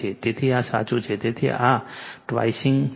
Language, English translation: Gujarati, So, this is correct, therefore this is not twisting